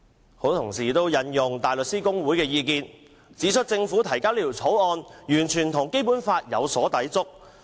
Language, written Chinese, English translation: Cantonese, 許多同事也引用香港大律師公會的意見，指出政府提交《條例草案》完全與《基本法》有所抵觸。, Many Honourable colleagues cited the view of the Hong Kong Bar Association HKBA that the Bill introduced by the Government is in complete violation of the Basic Law